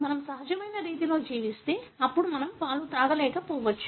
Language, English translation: Telugu, If we lived in the natural way, then we may not be feeding on milk